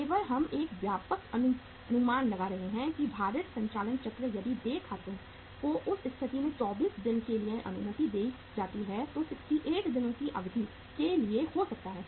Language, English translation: Hindi, Only we are getting a broad estimate that the weighted operating cycle if the accounts payable are allowed for 24 days in that case can be of the order of or of the duration of 68 days